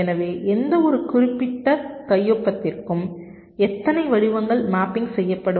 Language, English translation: Tamil, so for any particular signature, how many patterns will be mapping